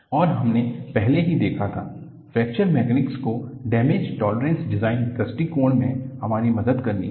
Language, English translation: Hindi, And, we had already seen, Fracture Mechanics has to help us to have damaged tolerant design approach